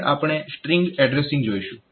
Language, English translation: Gujarati, Next we will look into relative addressing